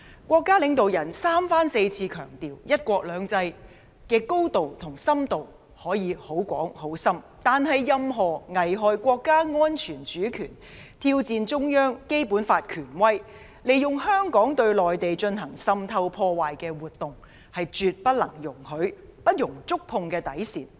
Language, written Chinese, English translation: Cantonese, 國家領導人三番四次強調，"一國兩制"的高度和深度可以很高、很深，但任何危害國家安全、主權，挑戰中央、《基本法》權威，利用香港對內地進行滲透破壞的活動，是絕不能容許的，是不能觸碰的底線。, The leaders of our country have emphasized time and again that one country two systems can be very flexible in terms of its extent and essence but we absolutely must not allow any action that undermines national security and sovereignty challenges the Central Authorities and the authority of the Basic Law and infiltrates and sabotages the Mainland by way of Hong Kong . The bottom line must not be crossed